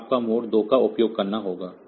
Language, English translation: Hindi, So, you have to use the mode 2